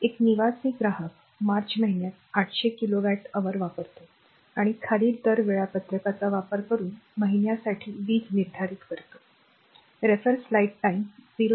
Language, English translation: Marathi, A residential consumer consumes 800 kilowatt hour in the month of March right determine the electricity for the month using the following rate schedule right